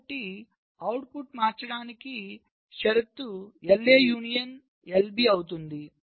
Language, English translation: Telugu, so the condition for the output changing will be will be l a union, l b